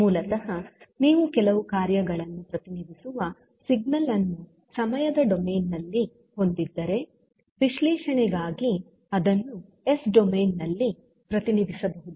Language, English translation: Kannada, So, basically if you have signal which have some function in time domain that can be represented in s domain for analysis